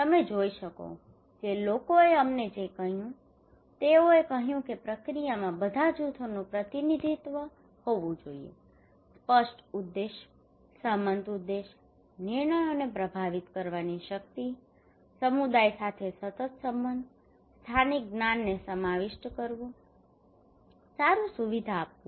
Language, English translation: Gujarati, And you can see what people told us they said that process there should be representation of all groups, clear objectives, agreed objectives, power to influence decisions, continued relation with the community, incorporating local knowledge, good facilitator